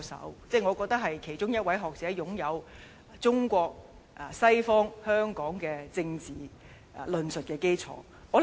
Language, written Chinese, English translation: Cantonese, 我認為他是其中一位擁有中國西方香港政治論述基礎的學者。, I consider him a scholar with academic backgrounds in political discourse in China the West and Hong Kong